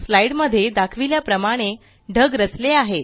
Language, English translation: Marathi, The clouds are arranged as shown in the slide